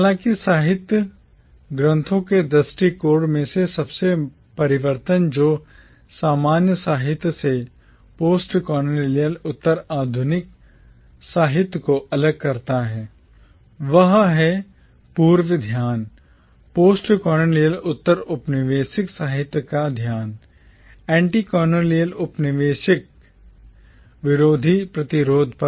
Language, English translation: Hindi, However, the most radical change in the approach to literary texts that distinguishes postcolonial literature from commonwealth literature is the former’s focus, the focus of postcolonial literature, on anti colonial resistance